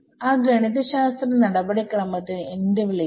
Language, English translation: Malayalam, So, what is that mathematically procedure called